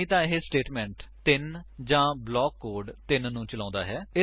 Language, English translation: Punjabi, Else, it executes statement 3 or block code 3